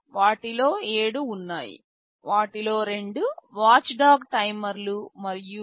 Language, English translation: Telugu, There are 7 of them, two of them are watchdog timers, and I mentioned there is a USB 2